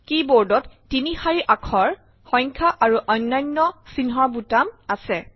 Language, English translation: Assamese, The keyboard also has three rows of alphabets, numerals and other characters